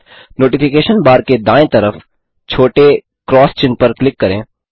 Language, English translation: Hindi, Click on the small x mark on the right of the Notification bar